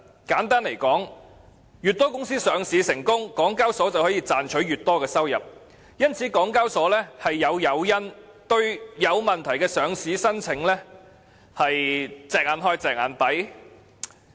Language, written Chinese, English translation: Cantonese, 簡單來說，越多公司上市成功，港交所便可賺取越多收入，因此港交所有誘因對有問題的上市申請"隻眼開，隻眼閉"。, Simply put if more companies can come and list in Hong Kong more revenue will be generated for HKEx and it serves as an incentive for HKEx to turn a blind eye to listing applications that have suitability concerns